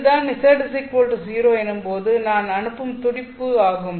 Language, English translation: Tamil, So, this is the pulse which I am launching at z equal to 0